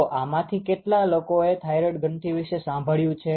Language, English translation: Gujarati, So, you know how many of you have heard about thyroid gland oh most of you